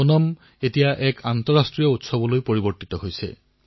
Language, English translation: Assamese, Onam is increasingly turning out to be an international festival